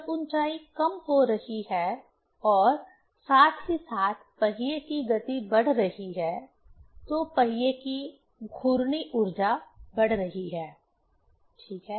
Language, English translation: Hindi, when height is decreasing and simultaneously the speed of the wheel is increasing, the rotational energy of the wheel is increasing, right